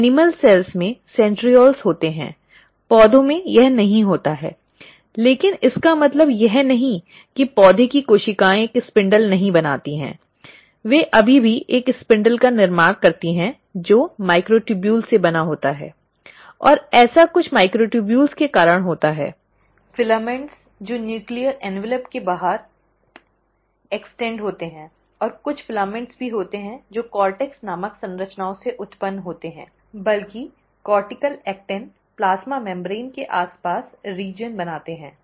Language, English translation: Hindi, So in animal cells, there are centrioles, plants do not have it, but that does not mean that the plant cells do not form a spindle; they still form a spindle which is made up of microtubules, and that is because of some of the microtubules, filaments which extend outside of the nuclear envelope and also some of the filaments which originate from structures called as cortex, cortical actin rather form the region in and around the plasma membrane